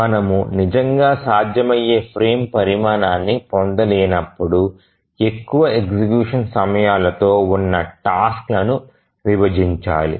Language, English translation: Telugu, So, whenever we cannot really get any feasible frame size, we need to split the tasks with longer execution times